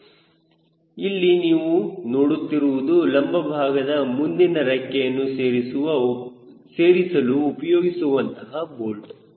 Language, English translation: Kannada, this is this bolt which you are seeing is the forward wing attachment of the right wing